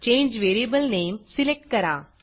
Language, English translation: Marathi, Select change variable name